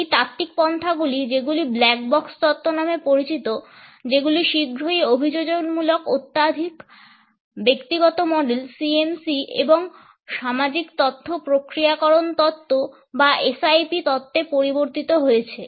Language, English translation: Bengali, These theoretical approaches which have been termed as the ‘black box’ theory, very soon changed into adaptive models of hyper personal CMC and social information processing or SIP theories